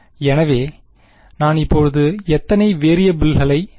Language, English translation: Tamil, So, now how many variables can I say